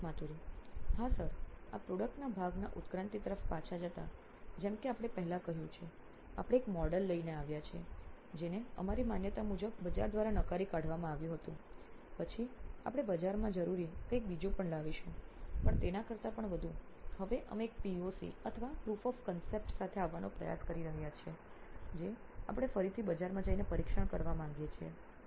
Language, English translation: Gujarati, Yes Sir, going back to the evolution of this product part, like we have said before, we have come up with a model which was denied by a market through our validation, then we will come up with something else then the market needed, even more than that, again now we are trying to come up with a POC or proof of concept which we again want to go to the market and test